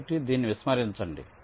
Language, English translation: Telugu, so ignore this